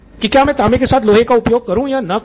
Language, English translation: Hindi, Do I use iron with copper or do I not